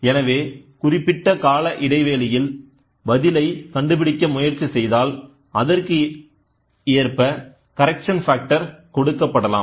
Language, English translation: Tamil, So, if we can try to figure out the response over a period of time then accordingly the correction factor can be given